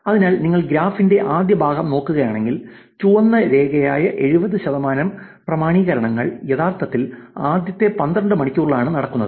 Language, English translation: Malayalam, So, if you look at the first part of graph, 70 percent of authentications which is the red line which is actually in the first 12 hours itself